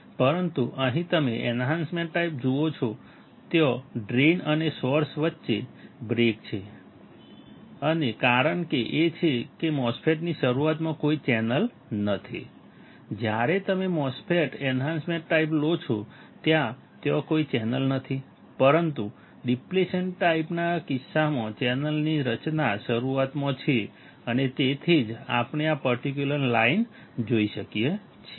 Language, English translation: Gujarati, But you here and you see enhancement type there is a break between the drain and source and the reason is that there is no channel at the starting of the MOSFET; when you take a MOSFET enhancement type there is no channel, but in case of depletion type there is a formation of channel and in the starting and that’s why we can see this particular line